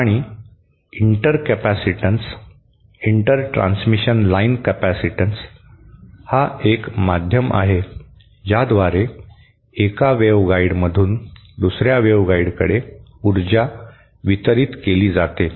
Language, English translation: Marathi, And Inter capacitance, the inter transmission line capacitance is the way in which the is the media through which the power is delivered from one waveguide to another